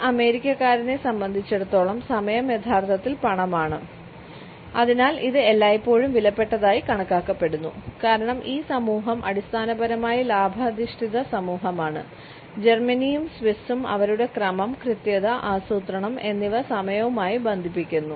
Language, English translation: Malayalam, For an American time is truly money and therefore, it is always considered to be precious; because this society is basically a profit oriented society Germans and Swiss link time with their sense of order tidiness and planning